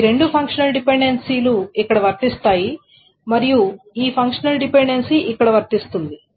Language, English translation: Telugu, So these two functional dependencies are satisfied here and this functional dependency is satisfied here